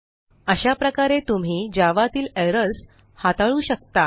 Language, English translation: Marathi, This is how you handle errors in java